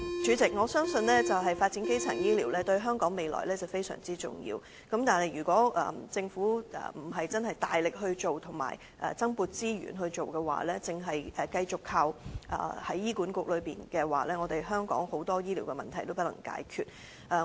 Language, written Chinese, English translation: Cantonese, 主席，我相信發展基層醫療對香港的未來非常重要，但如果政府並非大力及增撥資源推行，只是繼續由醫院管理局負責推動，則香港很多醫療問題將不能解決。, President I think the development of primary health care is very important to the future of Hong Kong . However without the Governments vigorous promotion and additional financial support it is impossible for HA alone to solve the many health care problems in Hong Kong